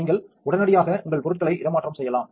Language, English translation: Tamil, So, then you could displace your stuff immediately